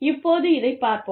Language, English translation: Tamil, Now, let us see this